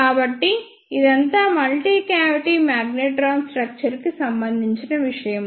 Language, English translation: Telugu, So, this is all about the structure of a multi cavity magnetron